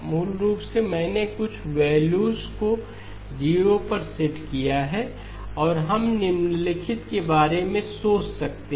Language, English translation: Hindi, Basically, I have set some of the values to 0 okay and we can think of the following